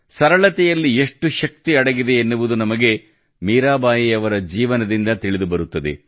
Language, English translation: Kannada, We come to know from the lifetime of Mirabai how much strength there is in simplicity and modesty